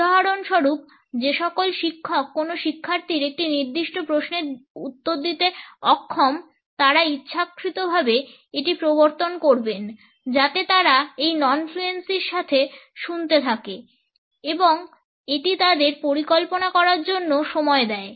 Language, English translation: Bengali, For example all those teachers who are unable to answer to a particular question by a student, would deliberately introduced it so that they would keep on listening with these non fluencies and it would give them time to plan